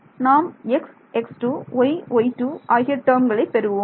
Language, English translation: Tamil, We will get a term like x, x square y y square these are the terms I will get